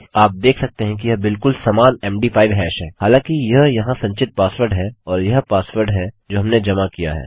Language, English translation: Hindi, You can see theyre exactly the same MD5 hash, however this here is the stored password and this is the password that weve submitted